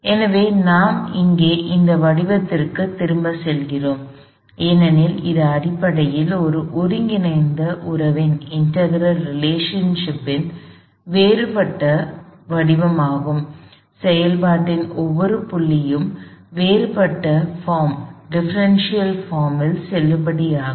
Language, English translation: Tamil, So, we go back to this form here, because it is essentially a differential form of this integral relationship, the differential form is valid at every point in the process